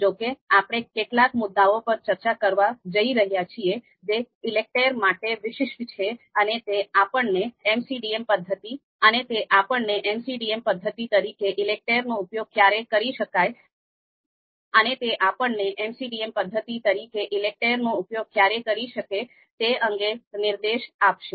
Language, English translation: Gujarati, However, we are going to discuss certain points specific to ELECTRE and that will give us pointer in terms of when ELECTRE as a method MCDM method can be used